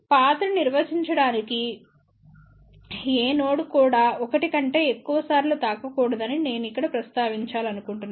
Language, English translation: Telugu, I just want to mention here that in to define the path, no node should be touched more than once ok